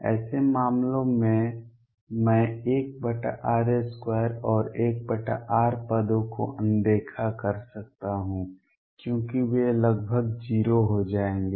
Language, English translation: Hindi, In such cases I can ignore 1 over r square and 1 over r terms because they will become nearly 0